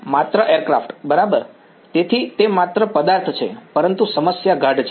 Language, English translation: Gujarati, Just the aircraft right; so, it is just the object, but the problem is dense